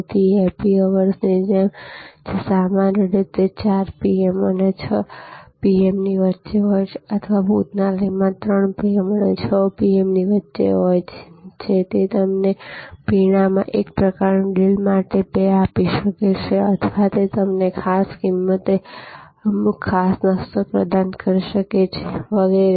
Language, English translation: Gujarati, So, like happy hours, which is usually between 4 PM and 6 PM or 3 PM and 6 PM in a restaurant may provide you 2 for 1 type of deal in drinks or it can provide you certain special snacks at special prices and so on